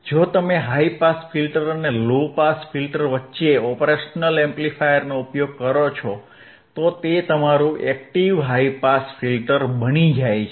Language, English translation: Gujarati, If you use an op amp in between the high pass filter and the low pass filter, it becomes your active high pass filter a active band pass filter, right